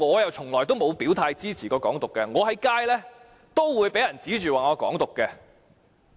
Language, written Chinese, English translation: Cantonese, 我從來沒有表態支持"港獨"，但在街上也曾被人指罵是"港獨"分子。, I have never taken a clear - cut stand in supporting Hong Kong independence but have been sworn at in the street and criticized for advocating Hong Kong independence